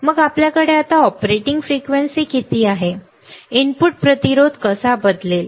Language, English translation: Marathi, Then we have now what is the operating frequency, how the input resistance would change